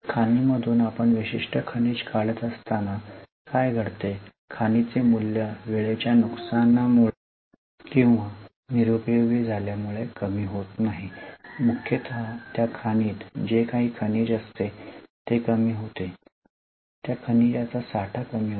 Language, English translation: Marathi, So, in mine what happens is as we are extracting a particular mineral, the value of the mine falls, not by time loss or not by obsolescence, but mainly because whatever is mineral in that mine goes down, the stock of that mineral goes down